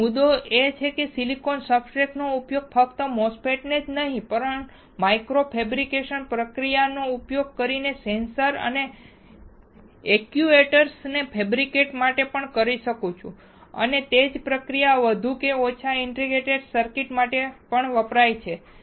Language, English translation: Gujarati, So, the point is that I can use silicon substrate for fabricating not only MOSFETs, but also to fabricate sensors and actuators using the micro fabrication process and the same process is used more or less for integrated circuits as well